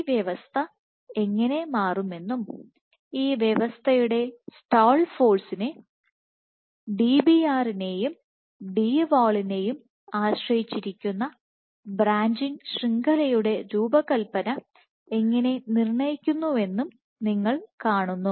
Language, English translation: Malayalam, So, you see how this system can change and how the stall force of the system is determined by the branching architecture of the network and which in turn is dependent on Dbr and Dwall